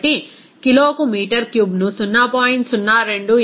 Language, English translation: Telugu, So meter cube per kg to be 0